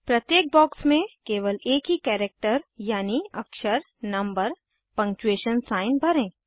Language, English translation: Hindi, In each box, fill only one character i.e (alphabet /number / punctuation sign)